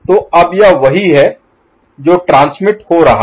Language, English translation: Hindi, So, now this is what is getting transmitted, right